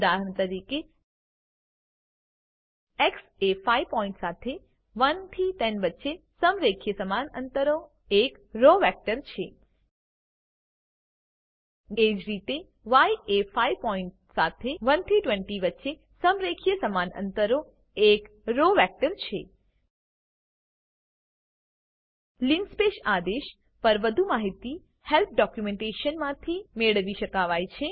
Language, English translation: Gujarati, For Example x is a row vector with 5 points linearly equally spaced between 1 and 10 Similarly y is a row vector with linearly equally spaced 5 points between 1 and 20 More information on linspace can be obtained from the Help documentation